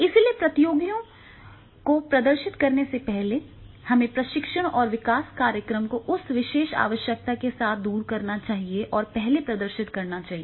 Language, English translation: Hindi, So, before the competitors demonstrate that the our training and development program should overcome with that particular requirement and demonstrate the first one